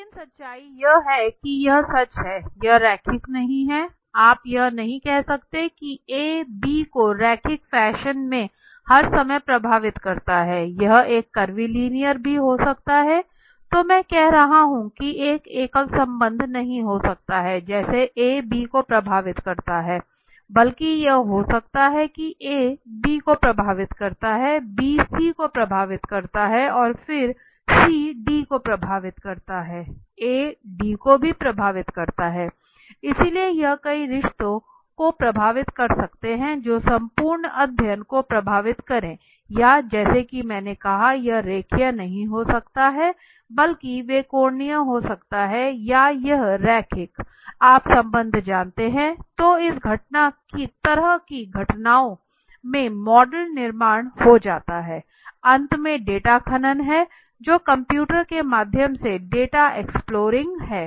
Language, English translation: Hindi, But the truth is it is sort the truth is okay it is not linear right you cannot say A affects B all the time in a linear fashion it could be a curvilinear also right there might be a so what I am saying is there might not be one single relationship right like A affects B rather it could be A affects B, B affects C and then C affects D right A also affects D, so it could be a multitude of relationships or a multiple relationships which can be affecting the entire study or as I said it might not be linear but rather that might be an angular or it might be curvilinear you know relationship so in such events model building becomes comes to a very handy very handy right finally data mining which is done through the exploring data through the computer